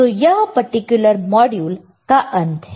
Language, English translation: Hindi, So, this is end of this particular module